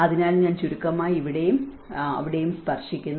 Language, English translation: Malayalam, So, I just briefly touch upon here and there